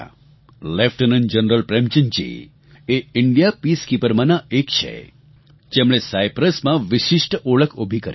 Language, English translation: Gujarati, Lieutenant General Prem Chand ji is one among those Indian Peacekeepers who carved a special niche for themselves in Cyprus